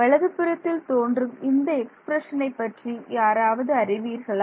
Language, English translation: Tamil, Does anyone recognize what this expression on the right looks like particularly this expression